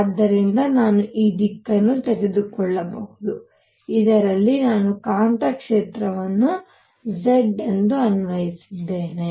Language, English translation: Kannada, So, I can take this direction in which I have applied the magnetic field to be z